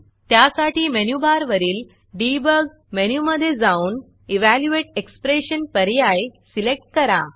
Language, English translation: Marathi, So let me go to the Debug menu in the menu bar, and select Evaluate expression option